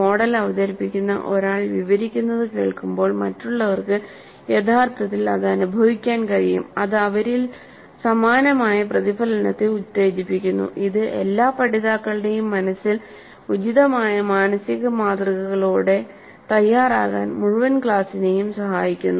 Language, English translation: Malayalam, Others can actually experience what someone who is presenting the model describes and it stimulates similar recollection in them which helps the entire class to be ready with proper requisite mental models invoked in the minds of all the learners